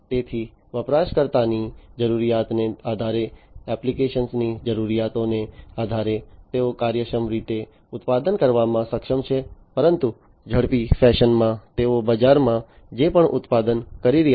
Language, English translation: Gujarati, So, depending on the user needs, depending on the application needs, they are able to produce efficiently, but in an accelerated fashion, whatever they are producing in the market